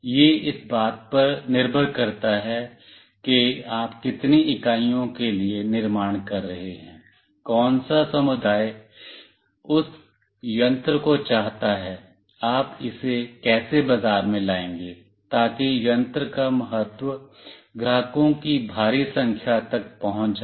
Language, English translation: Hindi, It depends like for how many units you are producing, which community wants that device, how will you market it such that the importance of the device goes to the huge customers